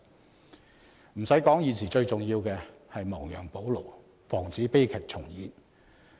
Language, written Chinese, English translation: Cantonese, 不用說，現時最重要的是亡羊補牢，防止悲劇重演。, Suffice to say it is most imperative to mend the fold now to prevent the recurrence of tragedies